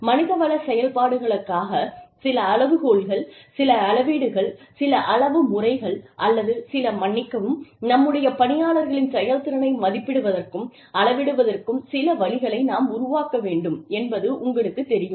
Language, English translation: Tamil, What is, you know, we need to develop, some criteria, some metrics, some measurements of, or some, sorry, some ways of assessing, quantifying, the performance of our employees, for our HR functions